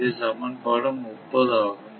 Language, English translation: Tamil, So, this is the second equation